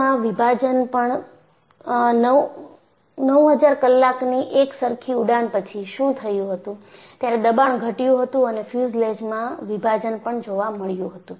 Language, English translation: Gujarati, So, what happened was after 9000 hours of equivalent flying, the pressure dropped, and a split in the fuselage was found